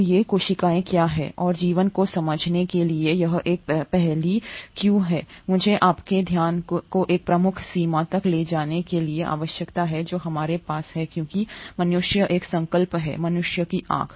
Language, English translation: Hindi, So what are these cells and why it has been such an enigma to understand life, and let me bring your attention to one major limitation that we have as humans is a resolution of a human eye